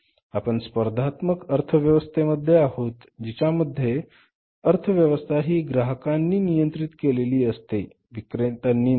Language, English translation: Marathi, We are in a competitive economy which is called as the economy controlled by the customers not by the sellers